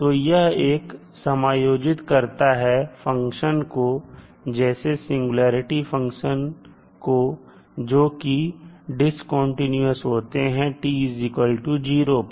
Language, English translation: Hindi, So this will accommodate the functions such as singularity functions, which may be discontinuous at time t is equal to 0